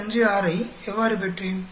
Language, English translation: Tamil, How did I get this 52